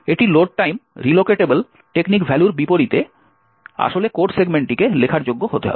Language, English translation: Bengali, This is quite unlike the Load time relocatable technique value actually required the code segment to be writable